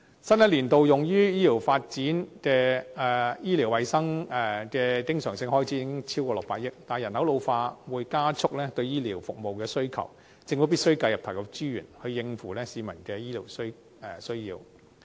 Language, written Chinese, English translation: Cantonese, 新一年度用於醫療衞生的經常性開支已超過600億元，但人口老化會加速對醫療服務的需求，政府必須繼續投入資源，以應付市民的醫療需求。, Although the recurrent expenditure on medical and health services for the new financial year exceeds 60 billion the ageing population will accelerate the growth of demands for medical services . The Government must therefore continue to inject resources to meet the publics medical demands